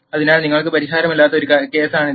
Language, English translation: Malayalam, So, this is a case where you will not have any solution